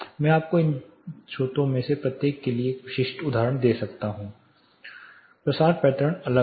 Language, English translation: Hindi, I can give you specific examples for each of these sources the propagation pattern differs